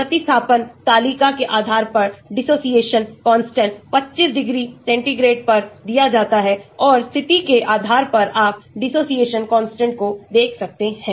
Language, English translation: Hindi, The dissociation constant is given in this table at 25 degree centigrade depending upon the substitution and depending upon the position you can see the dissociation constants